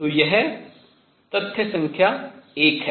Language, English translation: Hindi, So, that is fact number one